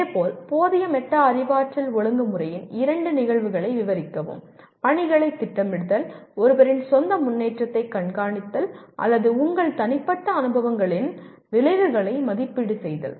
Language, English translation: Tamil, Similarly, describe two instances of inadequate metacognitive regulation; planning for tasks, monitoring one’s own progress or evaluating the outcomes from your personal experiences